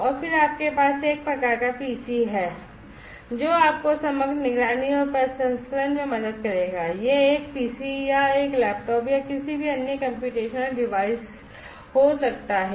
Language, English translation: Hindi, And then you also have kind of PC, which will help you in the overall monitoring and processing it could be a PC or a laptop or, anything any other computational device